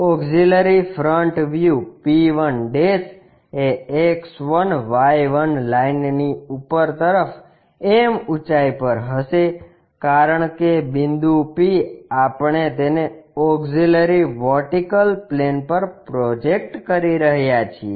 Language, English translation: Gujarati, The auxiliary front view p1' will also be at a height m above the X1Y1 line, because the point p we are projecting it onto auxiliary vertical plane